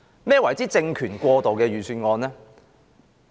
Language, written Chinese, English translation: Cantonese, 何謂政權過渡的預算案呢？, What is a Budget for a transitional regime?